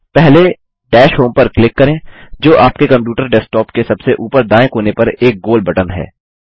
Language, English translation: Hindi, First, click Dash Home, which is the round button, on the top left corner of your computer desktop